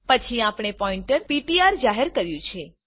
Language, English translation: Gujarati, Then we have declared a pointer ptr